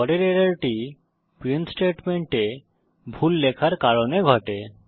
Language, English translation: Bengali, The next error happens due to typing mistakes in the print statement